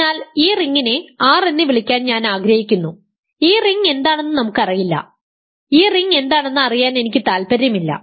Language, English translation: Malayalam, So, I let us call this ring R, we do not know what this ring is I am not interested in knowing what this ring is